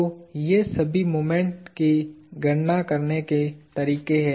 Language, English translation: Hindi, So, these are all ways of calculating the moments